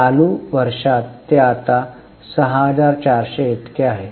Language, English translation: Marathi, In current year it is now 6,400